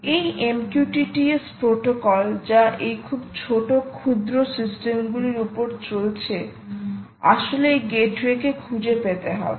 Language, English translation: Bengali, this m q t t s protocol, which is running on this very small, tiny systems, have actually got to find this gateway